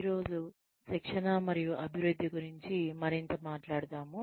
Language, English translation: Telugu, Today, we will talk, more about, Training and Development